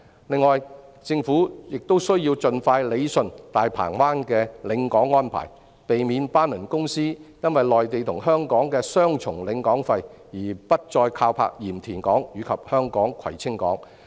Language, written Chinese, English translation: Cantonese, 另外，政府亦需要盡快理順大鵬灣的領港安排，避免班輪公司因內地與香港的雙重領港費而不再靠泊鹽田港及香港的葵青港。, Furthermore the Government also must resolve the pilotage arrangement in Mirs Bay to prevent liner companies from not berthing at Port of Yantian and Kwai Tsing Port Hong Kong due to double charging of pilotage dues on the Mainland and in Hong Kong